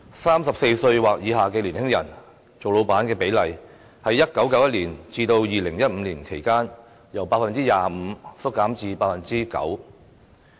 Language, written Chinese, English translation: Cantonese, 三十四歲或以下的年輕人當老闆的比例，在1991年至2015年期間，由 25% 減至 9%。, The proportion of business owners in the group of young people aged 34 or below saw a decline from 25 % in 1991 to 9 % in 2015